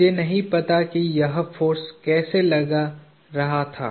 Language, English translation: Hindi, I do not know how it was exerting a force